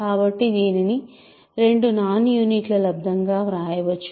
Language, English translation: Telugu, So, it can be written as a product of two non units